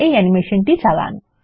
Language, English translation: Bengali, Play this animation